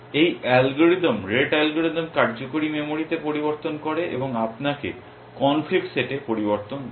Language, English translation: Bengali, This algorithm rete algorithm takes changes in working memory and gives you changes in the conflicts set